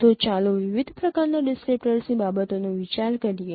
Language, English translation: Gujarati, So let us consider different other kinds of descriptors